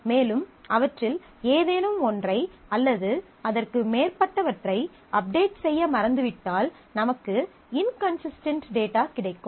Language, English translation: Tamil, It also has the difficulty that if I forget to update any one of them or more of them, then I have inconsistent data